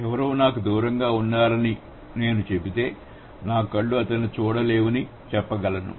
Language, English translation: Telugu, So, if I say somebody is far away from me, I can say that oh my eyes can't see him